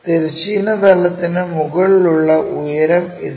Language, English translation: Malayalam, This is height above horizontal plane